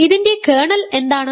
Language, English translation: Malayalam, What is the kernel of this